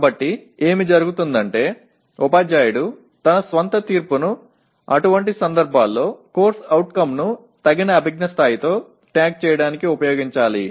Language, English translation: Telugu, So what happens is the teacher should use his or her own judgment in such cases to tag the CO with appropriate cognitive level